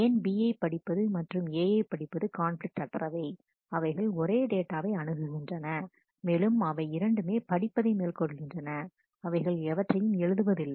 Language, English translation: Tamil, Why read B and read A are non conflicting, they are accessing the same data item, but both of them are read there is no write